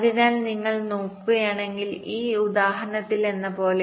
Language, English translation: Malayalam, so like in this example, if you look at